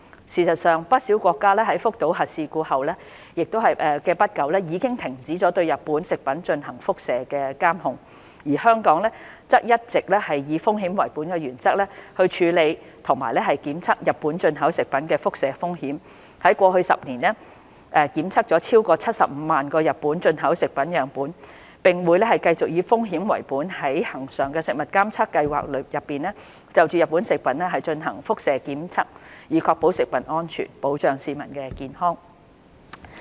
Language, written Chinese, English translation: Cantonese, 事實上，不少國家在福島核事故後不久已經停止對日本食品進行輻射監控，而香港則一直以風險為本的原則，處理和檢測日本進口食品的輻射風險，在過去10年檢測了超過75萬個日本進口食品樣本，並會繼續以風險為本在恆常食物監測計劃內就日本食品進行輻射檢測，以確保食物安全，保障市民的健康。, In fact quite a number of countries have already ceased their radiation monitoring on Japanese food soon after the Fukushima nuclear accident while Hong Kong adopts a risk - based approach in handling and conducting radiation tests on food products imported from Japan all along . Over the past 10 years more than 750 000 samples of Japanese food imports had been tested . We shall continue to conduct radiation testing of imported food from Japan following a risk - based approach under the routine Food Surveillance Programme to safeguard public health and food safety